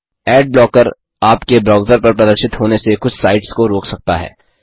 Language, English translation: Hindi, * Adblocker may prevent some sites from being displayed on your browser